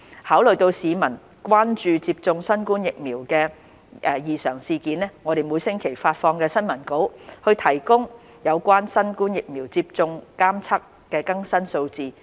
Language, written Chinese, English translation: Cantonese, 考慮到市民關注接種新冠疫苗後的異常事件，我們每星期發放新聞稿，提供有關新冠疫苗接種監測的更新數字。, Having considered that members of the public are concerned about adverse events following COVID - 19 vaccination we issue a weekly press release to provide updated statistics and relevant information on monitoring COVID - 19 vaccination